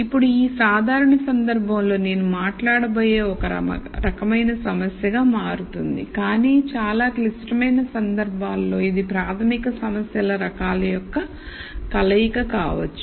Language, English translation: Telugu, Now in this simple case it will turn out to be one type of problem that I am going to talk about, but in more complicated cases it might be a combination of these basic problem types